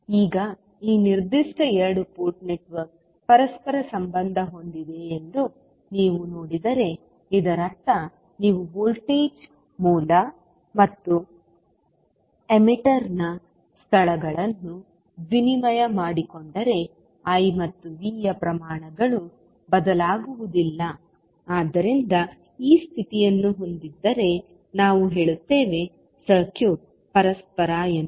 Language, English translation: Kannada, Now, if you see that this particular two port network is reciprocal, it means that if you exchange the locations of voltage source and the emitter, the quantities that is I and V are not going to change so if this condition holds we will say that the circuit is reciprocal